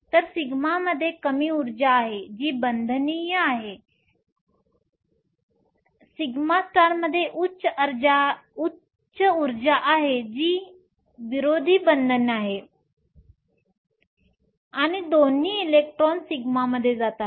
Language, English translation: Marathi, So, sigma has a lower energy which is the bonding sigma star has a higher energy that is anti bonding and both electrons go into sigma